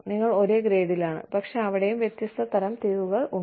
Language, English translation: Malayalam, but, even there, there are different classifications